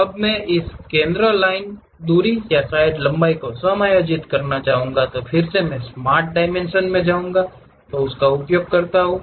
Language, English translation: Hindi, Now, I would like to adjust this center line distance or perhaps length, then Smart Dimensions I can use it